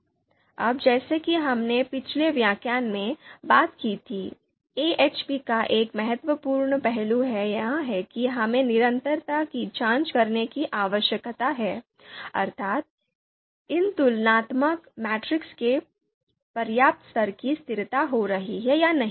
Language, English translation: Hindi, Now as we talked about in the previous lecture, one important you know one important aspect of AHP is that we need to check the consistency, whether these you know comparison matrices whether they are having the adequate level of you know consistency or not